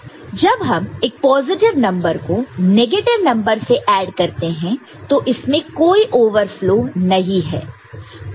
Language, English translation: Hindi, So, positive number added with positive and negative number added with negative, there could be possible cases of overflow